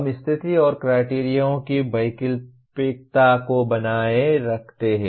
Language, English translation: Hindi, We retain the optionality of condition and criterion